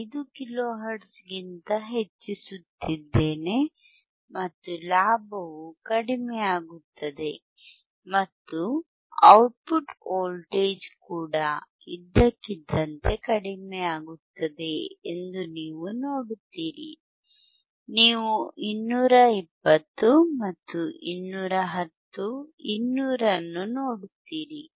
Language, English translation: Kannada, 5 kilo hertz, you will see the gain will decrease and the output voltage will even decrease suddenly, you see 220 and 210, 200